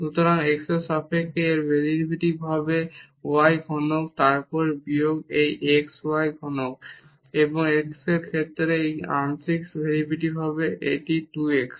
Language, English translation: Bengali, So, the derivative of this with respect to x will be y cube then minus this x y cube and the partial derivative here with respect to x this will be 2 x